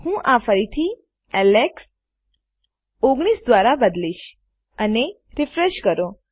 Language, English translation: Gujarati, I can change this again to Alex, 19 and refresh